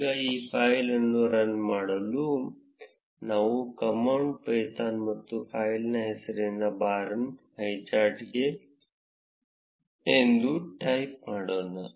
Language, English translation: Kannada, Now to run this file, we will type the command python and the name of the file that is bar highcharts